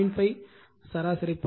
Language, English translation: Tamil, 5 the mean path right